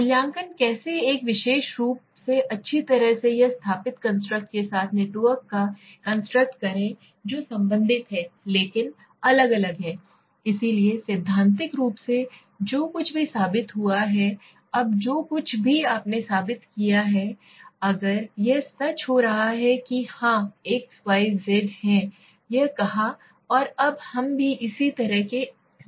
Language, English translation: Hindi, Evaluating how well a particular construct networks with other established constructs that are related but different, so theoretically whatever has been proved, now whatever you have proved, if it is coming true that yes x, y, z has said this and now we have also come to a similar conclusion